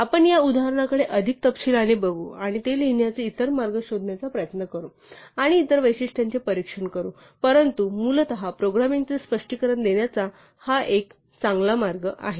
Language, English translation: Marathi, We will look at this example in more detail as we go long, and try to find other ways of writing it, and examine other features, but essentially this is a good way of illustrating programming